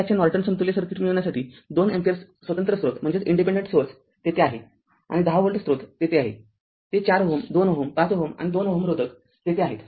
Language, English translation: Marathi, So, we have to get the Norton equivalent circuit of this one 2 ampere independent source is there and a 10 volt source is there at 4 ohm 2 ohm 5 ohm and 2 ohm resistance are there